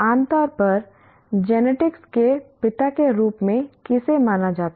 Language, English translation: Hindi, Who is generally considered as the father of genetics